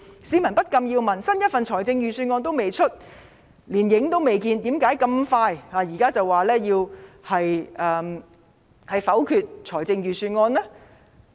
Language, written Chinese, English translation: Cantonese, 市民不禁要問：來年的預算案仍未公布，連影子也未看見，他們為何那麼快，現在便明言否決來年的預算案呢？, Members of the public cannot help asking How can they say so early and definitely that they will negative next years Budget when the next Budget has yet to be announced and is even not in sight for now?